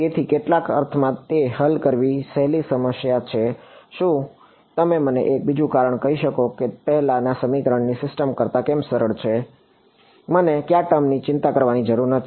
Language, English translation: Gujarati, So, in some sense it is an easier problem to solve can you tell me one more reason why it is easier than the earlier system of equations; which term did I not have to worry about